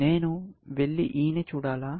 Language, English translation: Telugu, Should I go and look at E then; no